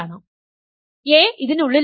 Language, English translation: Malayalam, So, a is inside this